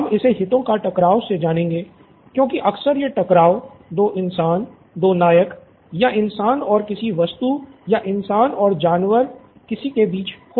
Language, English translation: Hindi, So I am calling it the conflict of interest because lots of times the conflict that we see is between 2 humans, human actors or between a human and a thing, an object, an animal, I don’t know